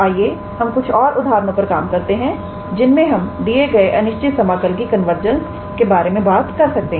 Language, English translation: Hindi, So, let us see a few examples where we can talk about the convergence of the given improper integral